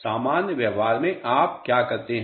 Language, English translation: Hindi, In normal practice what do you do